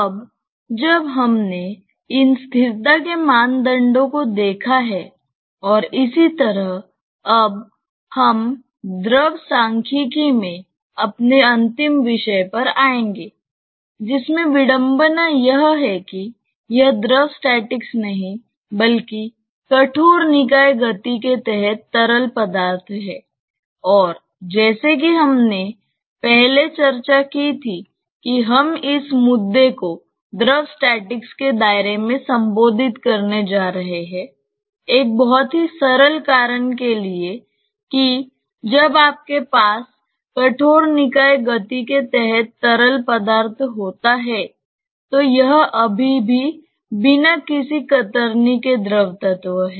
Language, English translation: Hindi, Now that we have seen these stability criteria and so on, we will come to our final topic in Fluid statics which ironically is not fluid statics, but fluid with rigid body motion and as we discussed earlier that we are going to address this issue within the purview of fluid statics, for a very simple reason that when you have fluid under rigid body motion, it is still fluid element without any shear